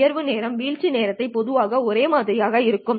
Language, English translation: Tamil, Rise time and fall time are usually the same